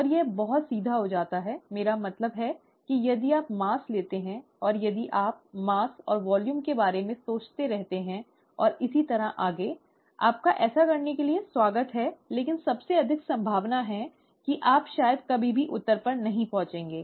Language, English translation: Hindi, And this becomes very straight forward, I mean if you take the mass and if you keep thinking about the mass and volume and so on so forth; you are welcome to do it, but most likely you will probably never arrive at the answer